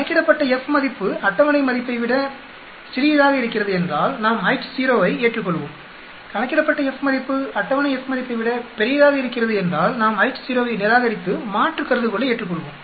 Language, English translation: Tamil, If the calculated F value is less than the table value we will accept the H0, if the calculated F value is greater than the table F value we will reject the H0 and accept the alternate hypothesis